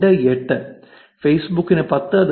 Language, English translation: Malayalam, 13 for facebook and 5